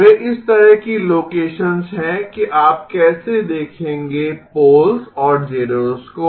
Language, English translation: Hindi, Those are the locations of the so that is how you would look at the poles and zeros